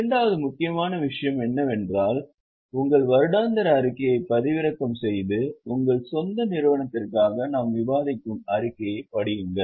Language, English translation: Tamil, Second important thing is download your annual report and read the statement which we are discussing for your own company